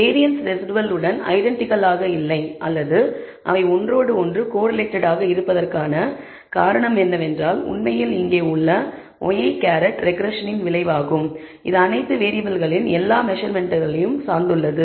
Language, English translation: Tamil, The reason for the variance not being identical of the residuals or them being correlated is because you notice that this y i hat they have actually have here is a result of the regression it depends on all variables all measurements